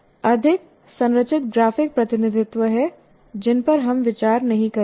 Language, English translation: Hindi, Still there are more structured graphic representations which we will not see here